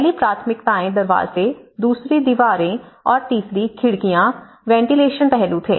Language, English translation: Hindi, The priorities were first doors, second walls and the third is windows, so the ventilation aspect